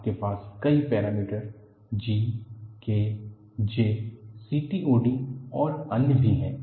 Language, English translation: Hindi, You have several parameters G, K, J, CTOD and so on